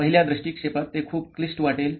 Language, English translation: Marathi, At first glance it may sound very complicated